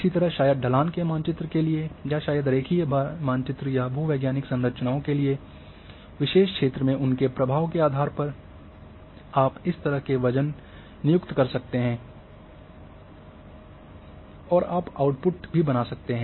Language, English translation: Hindi, Similarly for maybe for slope maps, maybe for linear maps or geological structures depending on their influence in particular area you assign the weight in this way you can create also output